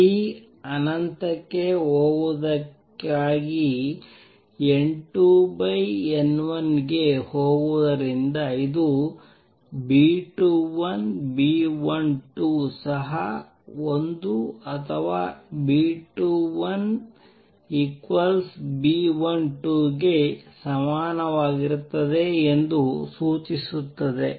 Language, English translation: Kannada, Not only that it also indicates since N 2 over and N1 goes to 1 for T going to infinity that B 2 1 over B 12 is also equal to 1 or B 2 1 equals B 12